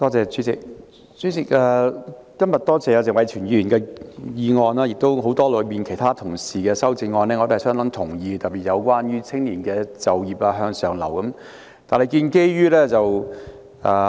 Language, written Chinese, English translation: Cantonese, 主席，我感謝謝偉銓議員今天動議這項議案，我也相當同意很多同事的修正案，特別是有關青年就業和向上流動的修正案。, President I would like to thank Mr Tony TSE for moving this motion today and I rather endorse the amendments of many colleagues especially the amendments on youth employment and upward mobility